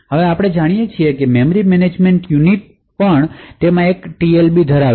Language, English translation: Gujarati, Now as we know the typical memory management unit also has a TLB present in it